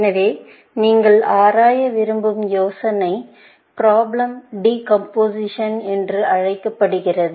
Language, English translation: Tamil, So, the idea that you want to explore is called problem decomposition